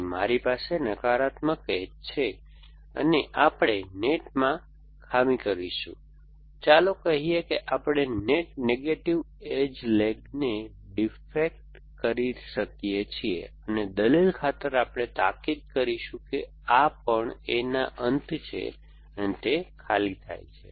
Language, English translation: Gujarati, So, I have negative edge going from here, so we will defect to net, let say we can defect net negative edge leg this, and for argument sake we will urgent that this also becomes falls at the end of A and arm empty